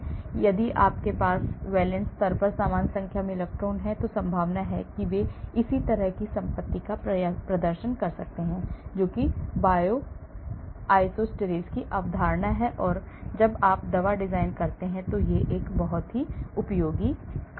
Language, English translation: Hindi, so if they have same number of electrons at the valence level, the chances are they may exhibit similar property that is what is the concept of Bioisosteres and it is very useful when you are doing drug design